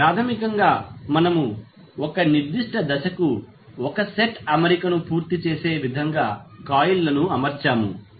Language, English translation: Telugu, So, basically we arranged the coils in such a way that it completes 1 set of arrangement for 1 particular phase